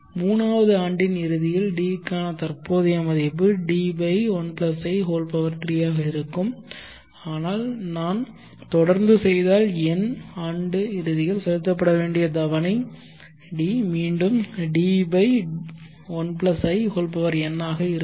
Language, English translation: Tamil, Then the present worth for D at the end of 3rd year will be D/1+I3 so on if I keep doing the installment D which is supposed to have been paid at the end of the nth year if it is reflected back to the present it will be D/1+In